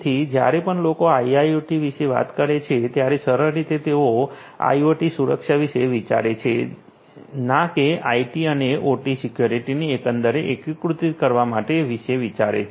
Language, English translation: Gujarati, So, whenever people talk about IIoT, they simply think about IoT security not IT and OT security integrated as a whole